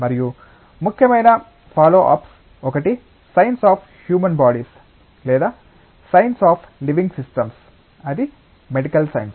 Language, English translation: Telugu, And one of the important follow ups is science of human bodies or science of living systems are medical science